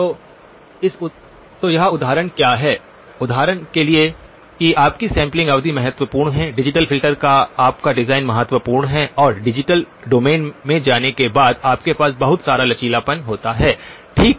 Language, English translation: Hindi, So what this example is to illustrate is that your sampling period is important, your design of the digital filter is important and there is a whole lot of flexibility that you have once you go into the digital domain okay